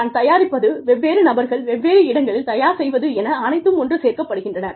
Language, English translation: Tamil, What I produce, what different people produce, in different places, gets collected